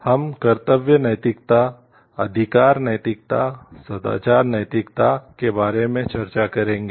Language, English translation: Hindi, Now, we will discuss about the duty ethics, rights ethics, virtue ethics